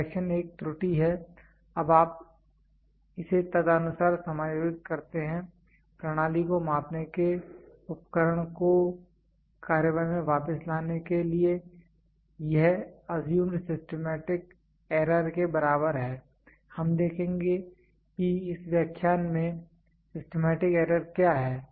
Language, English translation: Hindi, Correction is there is an error now you adjust it accordingly to bring back the system measuring instrument back into action equal to assumed systematic error, we will see what is systematic error in this lecture itself